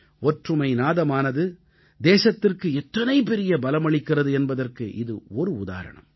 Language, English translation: Tamil, It is an example of how the voice of unison can bestow strength upon our country